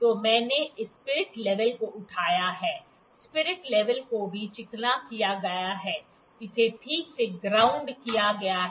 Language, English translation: Hindi, So, I have put picked this spirit level, spirit level is also smoothened, it is grounded properly